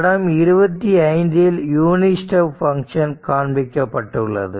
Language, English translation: Tamil, So, figure 25 shows the unit step function I will show you the figure